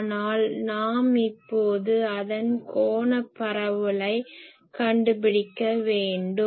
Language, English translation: Tamil, But, now we want to find out what is the angular distribution of that